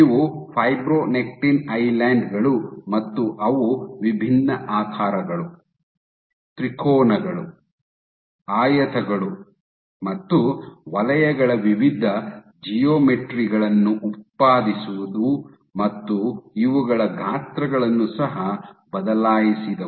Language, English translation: Kannada, So, these are fibronectin islands and they generated various geometries different shapes triangles, rectangles and circles, and they also altered the sizes of these